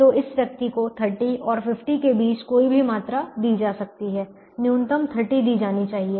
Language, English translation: Hindi, so this person can be given any quantity between thirty and fifty